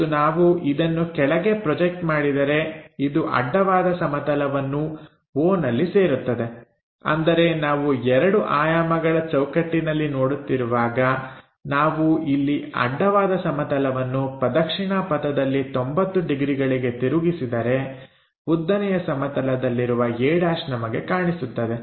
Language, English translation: Kannada, And, if we are projecting a all the way down, it maps on the horizontal plane at o; that means, if we are looking at the 2 dimensional framework, where we are going to make these 90 degrees clockwise for horizontal plane, the a’ on the vertical plane we will see